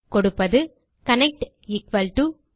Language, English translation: Tamil, We type here connect = mysql connect